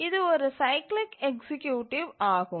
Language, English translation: Tamil, It goes by the name cyclic executives